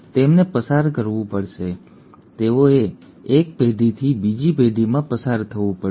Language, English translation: Gujarati, They have to be passed on they have to passed on from one generation to other